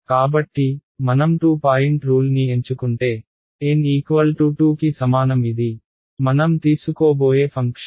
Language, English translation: Telugu, So, if I chose a 2 point rule right so, N is equal to 2 this is my, the function that I am going to take